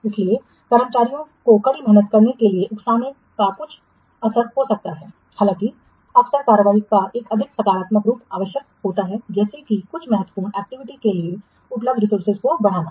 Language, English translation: Hindi, So, exacting staff to work harder might have some effect, although frequently a more positive form of action is required, such as increasing the resources available for some critical activity